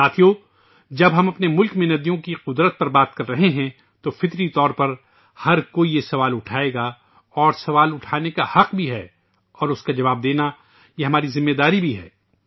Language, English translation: Urdu, now that we are discussing the significance of rivers in our country, it is but natural for everyone to raise a question…one, in fact, has the right to do so…and answering that question is our responsibility too